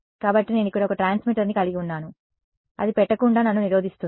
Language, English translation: Telugu, So, let us say I have one transmitter over here, what prevents me from putting